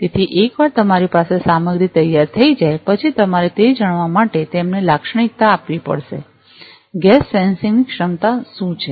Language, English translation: Gujarati, So, once you have the material ready, then you will have to characterize them in order to know that; what is a gas sensing capability